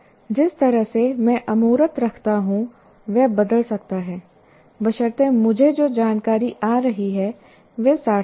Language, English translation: Hindi, So the way I keep abstracting can change provided I find the information that is coming to me is meaningful